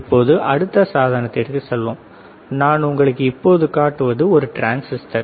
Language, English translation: Tamil, Now, let us go to the next one, I show you transistor